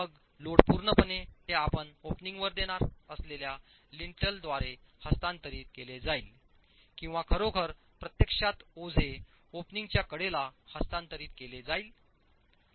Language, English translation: Marathi, The load is then, is it going to be completely carried by a lintel that you are going to provide over the opening or is the load actually going to get transferred to the sides of the opening